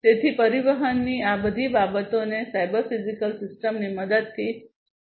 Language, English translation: Gujarati, So, all these things you know in transportation could be you know addressed with the help of cyber physical systems